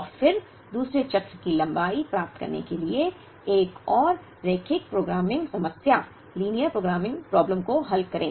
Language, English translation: Hindi, And then solve another linear programming problem, to get the length of the second cycle